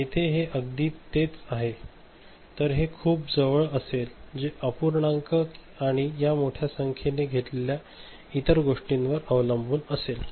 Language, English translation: Marathi, Here it is coming exactly the same ok, but it will be coming close depending on the fraction and other things you take large number of this thing